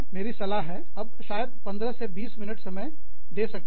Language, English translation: Hindi, My suggestion is, spent maybe, 15 to 20 minutes